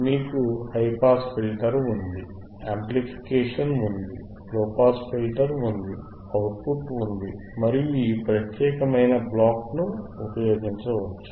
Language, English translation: Telugu, yYou have a high pass filter, you have amplification, you have a low pass filter, you have the output and then you can usinge this particular block,